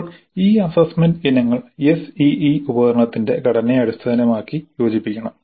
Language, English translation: Malayalam, Now these assessment items must be combined suitably based on the structure of the SEE instrument